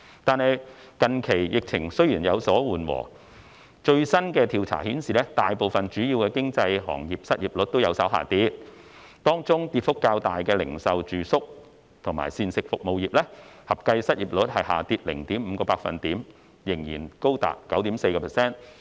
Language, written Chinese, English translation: Cantonese, 但是，近期疫情雖然有所緩和，最新的調查顯示大部分主要行業的失業率均有所下跌，當中跌幅較大的零售、住宿及膳食服務業，合計失業率雖下跌 0.5%， 但仍然高達 9.4%。, With the easing of the epidemic recently a latest survey indicated that the unemployment rates in most major industries have somewhat declined . Among them the combined unemployment rate of the retail accommodation and food services sectors registered the biggest drop of 0.5 % although still standing high at 9.4 %